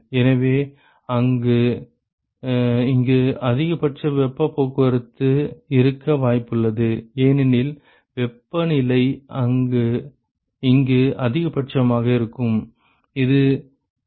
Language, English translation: Tamil, So, it is possible that there is maximum heat transport here because, the temperature get in this maximum here